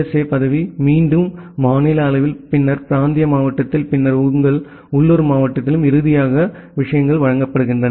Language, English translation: Tamil, The USA post, again, in the state level then the regional level then your local level and then finally, the things are getting delivered